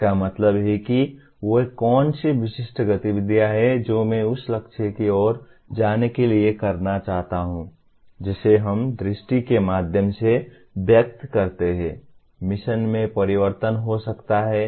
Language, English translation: Hindi, That means what are the specific activities that I want to do to go towards the goal that we express through vision, the mission may get altered